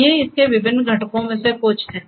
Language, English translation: Hindi, So, these are some of these different components